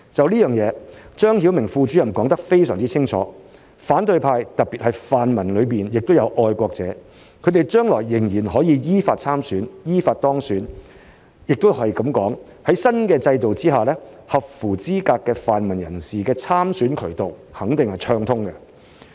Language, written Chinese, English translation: Cantonese, 對此，張曉明副主任說得非常清楚，反對派特別是泛民中也有愛國者，他們將來仍然可以依法參選、依法當選，亦可以說，在新制度下，合乎資格的泛民人士的參選渠道肯定是暢通的。, In this connection Deputy Director ZHANG Xiaoming has made it crystal clear that there are also patriots among the opposition particularly among the pan - democrats and they can still stand for election and be elected in accordance with the law . In other words under the new system the channels for eligible pan - democrats to stand for election is definitely open